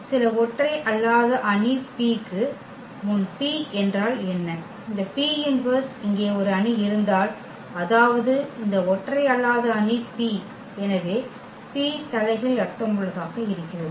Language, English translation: Tamil, And what to we have to we this P what is the P before some non singular matrix P, if there exists a matrix here this P inverse I mean, this non singular matrix P therefore, that P inverse make sense